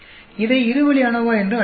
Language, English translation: Tamil, I will call it two way ANOVA